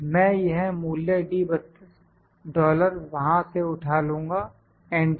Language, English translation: Hindi, I will just pick it from there this value d 32 dollar enter